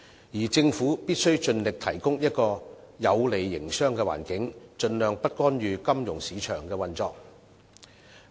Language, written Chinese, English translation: Cantonese, 至於政府則必須盡力提供一個有利營商的環境，盡量不干預金融市場的運作。, Meanwhile the Government should do its best to provide a favourable business environment and adhere to the policy of not intervening with the financial market as much as possible